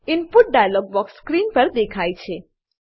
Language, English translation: Gujarati, An input dialog box appears on screen